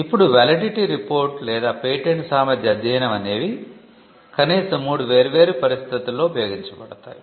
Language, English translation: Telugu, Now, a validity report or what we call a patentability study would be used in at least 3 different situations